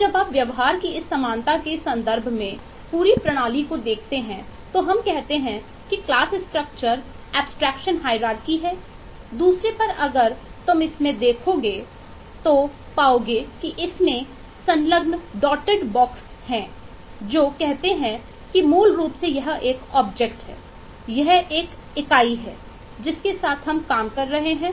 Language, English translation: Hindi, and when you look into the whole system in terms of this commonality of behavior, we say we are looking through the class structure, that is, the abstraction hierarchy